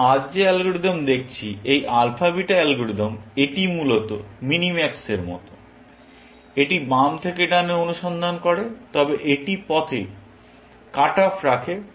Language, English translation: Bengali, The algorithm that we are looking at today; this alpha beta algorithm, essentially, is like minimax, in the sense that its searches from left to right, but it does cut offs along the way